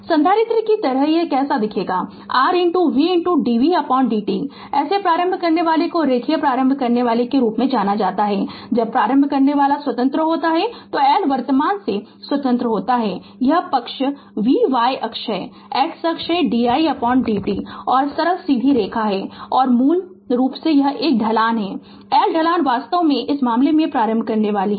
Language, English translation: Hindi, Like capacitor also how we saw R is equal to C into dv by dt such an inductor is known as linear inductor right, when inductor is independent the L is independent of the current then this side is v y axis x axis is di by dt and simple straight line passing through the origin and this is the slope that L slope is actually in this case inductor